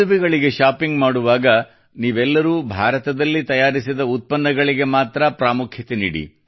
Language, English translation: Kannada, While shopping for weddings, all of you should give importance to products made in India only